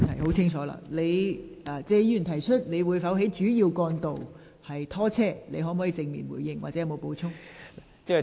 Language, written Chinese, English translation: Cantonese, 局長，謝議員詢問當局會否在主要道路拖車，你會否正面回應或有否補充？, Secretary regarding the question asked by Mr TSE about whether vehicles will be towed away from major roads will you give a positive response or do you have anything to add?